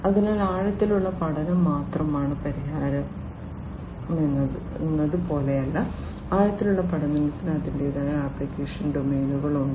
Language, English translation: Malayalam, So, it is not like you know deep learning is the only solution, deep learning has its own application domains